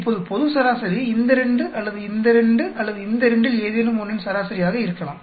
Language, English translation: Tamil, Now, the global average could be average of any one of these 2 or these 2 or these 2